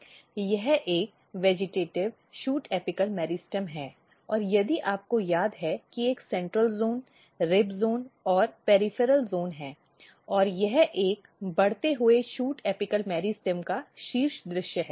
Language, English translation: Hindi, This is just to recap that this is a vegetative shoot apical meristem and if you remember there is a central zone and then you have rib zone and you have peripheral zone, and this is the top view of a growing shoot apical meristem